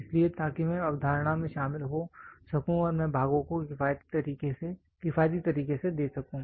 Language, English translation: Hindi, So, so that I can get into the concept and I may give the parts in an economical manner, economical manner